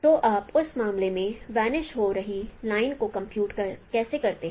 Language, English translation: Hindi, So how do you compute a vanishing line in that case